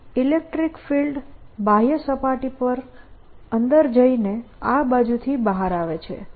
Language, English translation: Gujarati, the electric field is going in on the outer surface right and coming out on this side